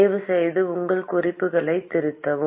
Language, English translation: Tamil, Please correct your notes